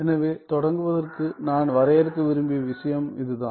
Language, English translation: Tamil, So, that is the thing that I wanted to define to begin with